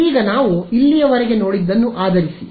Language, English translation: Kannada, Now, based on what we have seen so far